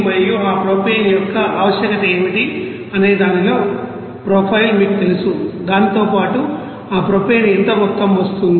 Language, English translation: Telugu, And also, you know profile in what would be the requirement for that propane along with that propylene what amount of that propane is coming